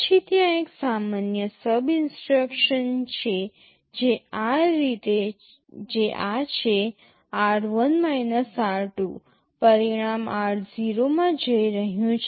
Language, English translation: Gujarati, Then there is a normal SUB instruction this is r1 – r2, result is going into r0